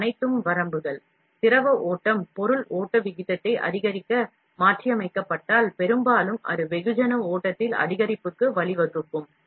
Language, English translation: Tamil, These are all the limitations, if the liquefier, where modified to increase the material flow rate, most likely it would result in a increase in the mass flow